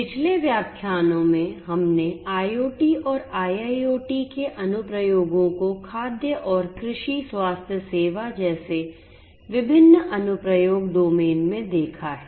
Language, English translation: Hindi, In the previous lectures, we have seen the applications of IoT and IIoT in different application domains such as food and agriculture, healthcare and so on